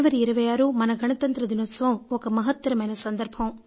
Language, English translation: Telugu, On 26th January we celebrate Republic Day